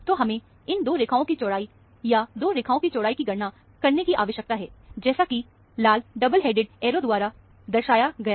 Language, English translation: Hindi, So, we need to calculate the width of these 2 lines, or the width of the 2 lines, as indicated by the red double headed arrow